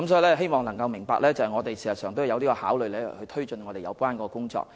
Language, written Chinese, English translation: Cantonese, 我希望議員明白我們事實上有考慮推進有關工作。, I hope Members can understand that we are actually considering taking forward the relevant work